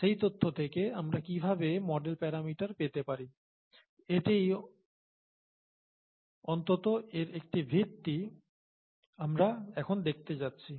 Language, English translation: Bengali, From that data, how do we get the model parameters, is what we are going to look at now, at least a basis of that